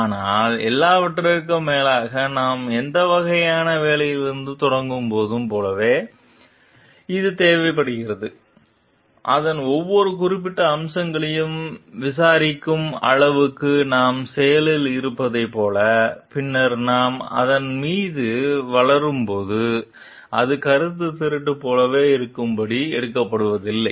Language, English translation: Tamil, But after all, like when we are starting with any kind of work; so, it is required, like we are proactive enough to inquire into every specific facets of it so that like when we later go on developing on it, it is not taken to be as like plagiarism